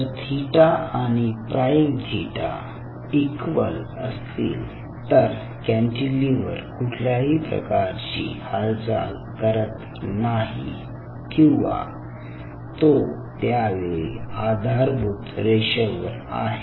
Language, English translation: Marathi, so if theta is equal to theta prime, it means this cantilever is not moving or at that particular instant it was at the baseline